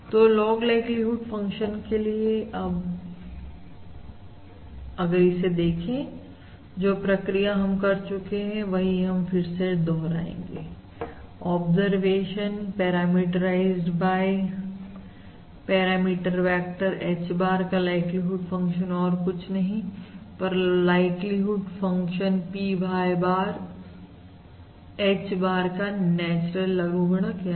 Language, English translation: Hindi, So the log likelihood function, that is, if you will now look at again, traversing exactly the same steps as we have done before, the log likelihood function, observe, log of log, like you would function of the observation parameterised by the parameter vector H bar, is nothing but the natural logarithm of the likelihood function of that is P Y bar, H bar